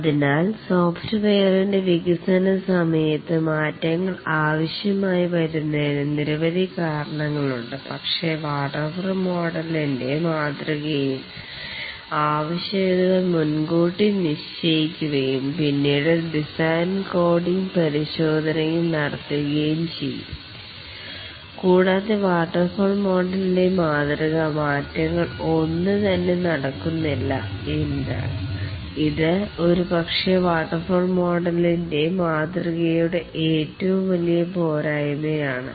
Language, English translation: Malayalam, So there are many reasons why changes will be required as during the development of the software but in the waterfall model the requirements are fixed upfront and then the design coding and testing are undertaken and there is no way provided by the waterfall model to make any changes this is possibly the biggest shortcoming of the waterfall model